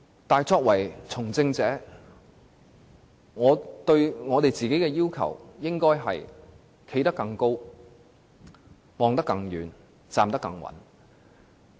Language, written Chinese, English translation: Cantonese, 但作為從政者，我們應該站得更高、看得更遠、站得更穩。, As politicians we should stand higher up look farther away and stand firmer